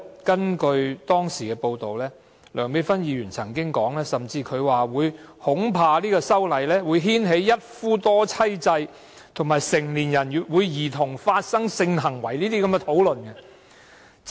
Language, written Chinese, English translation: Cantonese, 根據當時的報道，梁美芬議員甚至曾經說，恐怕修例會牽起一夫多妻制及成年人與兒童發生性行為等討論。, It was reported that Dr Priscilla LEUNG said the amendment would even bring forth subjects such as polygamy and intercourse with children for discussion